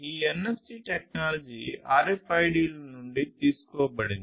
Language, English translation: Telugu, So, this is basically this NFC technology has been derived from the RFIDs